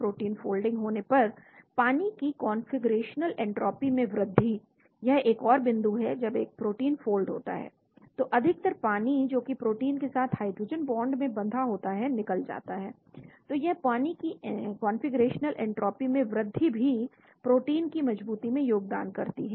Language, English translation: Hindi, Gain in configurational entropy of water on protein folding, that is another point when a protein folds much of the water hydrogen bonded to the protein will be released, so this gain in the configurational entropy of the water may contribute to protein stability